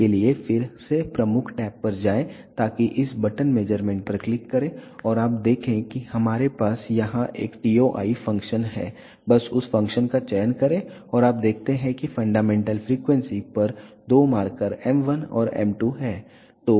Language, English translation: Hindi, For that again go to the major tab so click on this button measure and you see that you have a TOI function here just select that function and you observe that there are two markers m 1 and m 2 at the fundamental frequencies